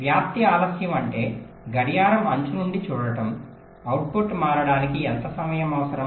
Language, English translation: Telugu, propagation delays means staring from the clock edge: how much time is required for the output to change